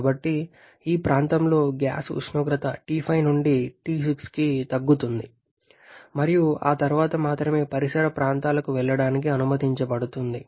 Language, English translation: Telugu, So, the gas temperature in the region reduces from T5 to T6 and then only it is allowed to go out to the surrounding